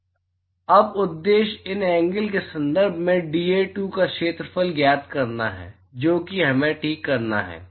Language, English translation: Hindi, So, the objective is now is to find the area dA2 in terms of these angles that is what we to do ok